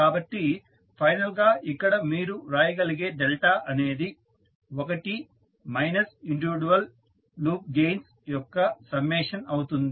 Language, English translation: Telugu, So, finally the delta is which you can write is 1 minus summation of the individual loop gains